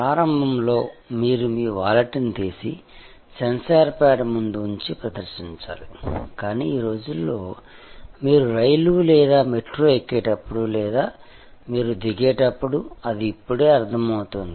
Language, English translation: Telugu, Initially, you have to take out your wallet and just present it in front of the sensor pad, but nowadays it just senses as you get on to the train or metro or you get off